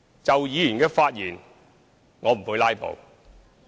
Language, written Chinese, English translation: Cantonese, 就議員的發言，我不會"拉布"。, Regarding Members remarks I will not filibuster